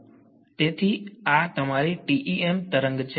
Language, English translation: Gujarati, So, this is your TEM wave